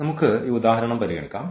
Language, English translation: Malayalam, So, let us consider this example